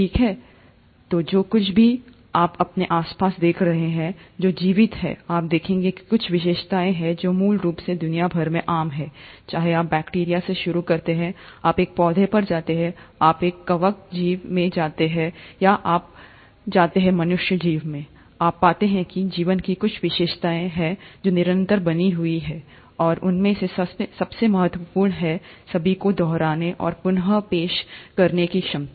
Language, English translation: Hindi, Well, anything that you see around yourself which is living, you will notice that there are certain features which are fundamentally common across living world, whether you start from a bacteria, you go to a plant, you go to a fungal organism or you go all the way to human beings, you find that there are certain features of life which remain constant, and the most important of them all is the ability to replicate and reproduce